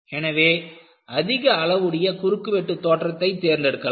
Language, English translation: Tamil, So, you will go for a larger size of cross section